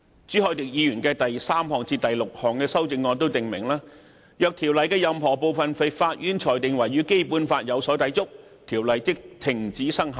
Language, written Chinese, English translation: Cantonese, 朱凱廸議員的第三至六項修正案訂明，若經制定的條例的任何部分被法院裁定為與《基本法》有所抵觸，該條例即停止生效。, Mr CHU Hoi - dicks third to sixth amendments provide that when any part of the enacted Ordinance is adjudicated by the Court as conflicting with the Basic Law the enacted Ordinance ceases to be valid forthwith